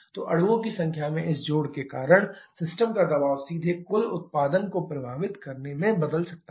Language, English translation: Hindi, So, because of this addition in the number of molecules the system pressure can directly change affecting the total output